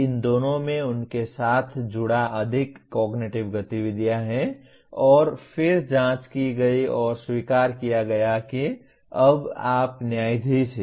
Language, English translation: Hindi, These two have more cognitive activities associated with them and then having examined and accepted you now judge